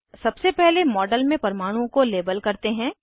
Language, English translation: Hindi, First let us label the atoms in the model